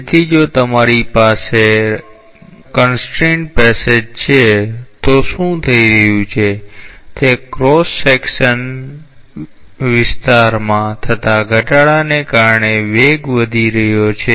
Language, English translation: Gujarati, So, if you have a constraint passage, what is happening is that the velocities are increasing to compensate for the decrease in the cross section area